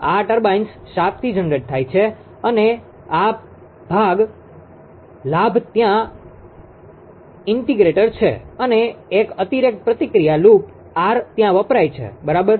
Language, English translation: Gujarati, These turbines shaft to generator, and this portion again is there integrator and one additional feedback loop R is used there, right